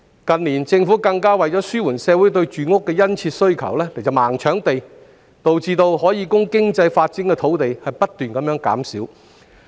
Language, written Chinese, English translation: Cantonese, 近年，政府為了紓緩社會對住屋的殷切需求，更是"盲搶地"，導致可供經濟發展的土地不斷減少。, In recent years in order to alleviate the strong demand for housing the Government has blindly put land for housing purposes thereby reducing the land supply for economic development